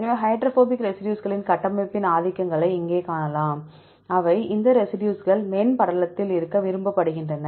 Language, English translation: Tamil, So, here you can see the dominants of the structure of hydrophobic residues, they this residues is preferred to be in the membrane right